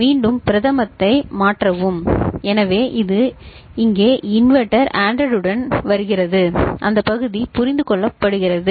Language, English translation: Tamil, And then shift prime, so this is coming over here the inverter, ANDed with A, that part is understood